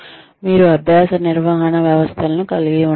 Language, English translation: Telugu, You could have learning management systems